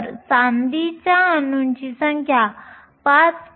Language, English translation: Marathi, So, the number of silver atoms is 5